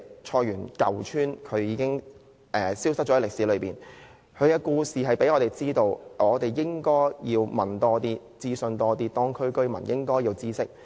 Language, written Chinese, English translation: Cantonese, 菜園舊村已成為歷史，它的故事讓我們知道有必要多問、多諮詢，而當區居民也應該知悉。, The old Choi Yuen Tsuen is history now and from its story we learn that we must ask more seek more consultation and local residents should also be informed